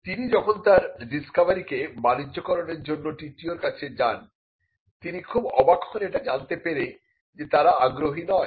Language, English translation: Bengali, When he approach the TTO with a view to commercializing his discovery; he was surprised to learn that they were not interested